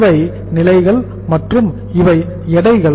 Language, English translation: Tamil, These are the stages and these are the weights